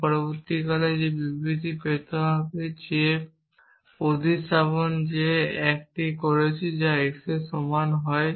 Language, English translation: Bengali, I would have got that statement instead the substitution that I am doing here is which for x